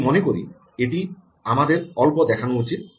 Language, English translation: Bengali, i think we should show that a little